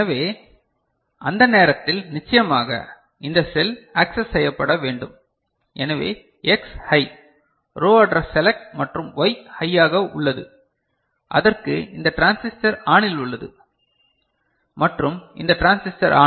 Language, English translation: Tamil, So, at that time of course, this cell need to be accessed, so X is high, so row address select and Y is high, so for which this transistor is ON and this transistor is ON, this transistor is ON and this transistor is ON, is it ok